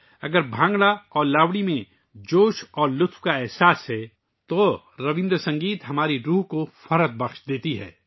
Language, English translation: Urdu, If Bhangra and Lavani have a sense of fervor and joy, Rabindra Sangeet lifts our souls